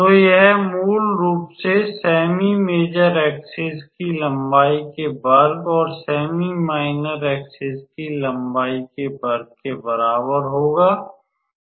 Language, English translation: Hindi, So, this will basically be our how to say square of the length of the semi major axis and square of the length of the semi minor axis